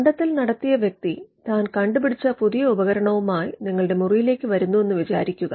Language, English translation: Malayalam, Say, an inventor walks into your room with this gadget which he has newly invented